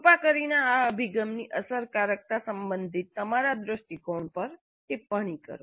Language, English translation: Gujarati, Please comment on your perception regarding the effectiveness of such an approach